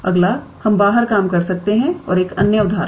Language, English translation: Hindi, Next we can work out and another example